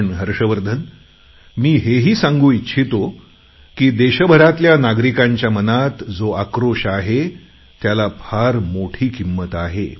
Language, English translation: Marathi, But, dear Harshvardhan, I shall also like to add that the anger in the hearts of our countrymen is of a very high value